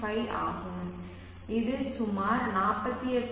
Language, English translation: Tamil, 5 which is around 48